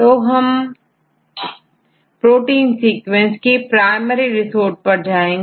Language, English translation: Hindi, So, now what is the primary resource for the protein sequences